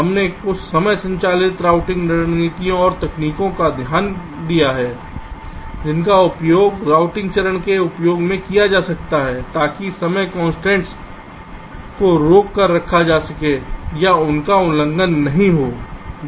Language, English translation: Hindi, we have looked at some of the timing driven routing strategies and techniques that can be used in the routing phase to keep the timing constraints in check or they are not getting violated